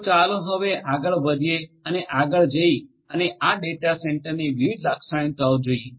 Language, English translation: Gujarati, So, let us now go ahead and go further and look at the different characteristics of these data centres